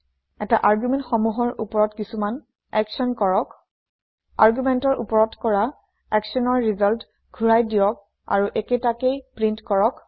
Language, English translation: Assamese, Perform some action on these arguments Return the result of the action performed on the arguments and print the same